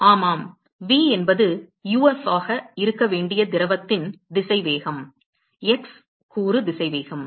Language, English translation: Tamil, Yeah, v is the velocity of the liquid to be uf; the x component velocity